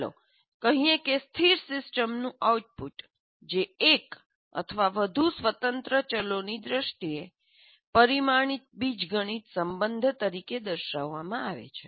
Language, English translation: Gujarati, A static system is expressed as a parameterized algebraic relation in terms of one or more independent variables